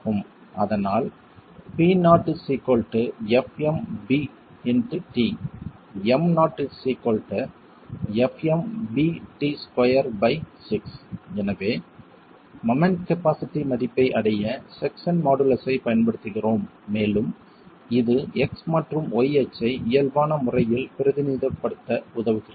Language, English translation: Tamil, So we are making use of the section modulus to arrive at the value of moment capacity and it helps us represent the x and y axis in a normalized manner